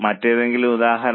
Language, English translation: Malayalam, Any other example